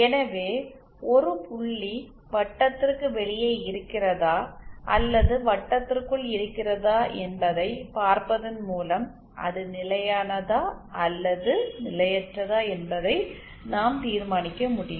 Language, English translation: Tamil, Hence its not that just by seeing whether a point is outside the circle or inside the circle we can determine whether it will be stable or potentially unstable